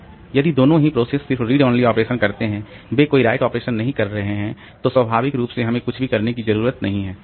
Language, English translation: Hindi, So, if both the processes they are only doing some read operation, they are not doing any right operation, then naturally we don't have to do anything